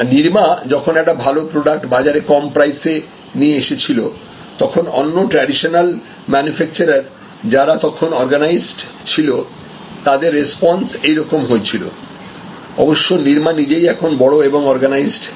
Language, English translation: Bengali, So, this is how at one time, when a Nirma came with a good product at a very low price, the response from the traditional manufacturers as are the organize players of those days, now Nirma itself is a big organize player